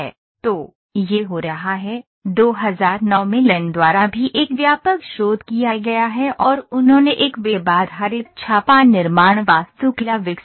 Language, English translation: Hindi, So, this is happening, also an extensive research is done by LAN in 2009 and he developed an web based raid manufacturing architecture